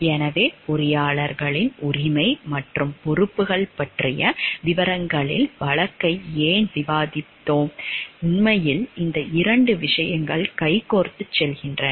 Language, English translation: Tamil, So, why we will be discussing the case in details about the rights and responsibilities of the engineers; actually these 2 things goes hand in hand